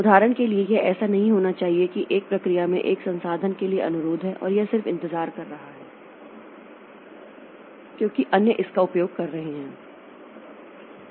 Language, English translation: Hindi, For example, it should not be the case that one process has requested for a resource and it is just waiting because others are using it